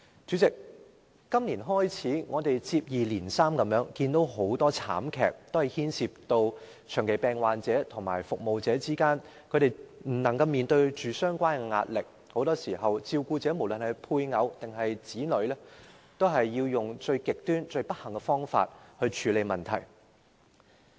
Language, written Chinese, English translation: Cantonese, 主席，我們自今年年初，接二連三看到很多慘劇，均牽涉長期病患者和照顧者未能面對相關的壓力，很多時候照顧者，不論是配偶或子女，也採用了最極端和最不幸的方法來處理問題。, President since the beginning of this year we have seen tragedies occur one after another all of which involved the failure of chronic patients and their carers to face the relevant pressure . Very often the carers be they the spouses or children used the most extreme and miserable approach to deal with their problems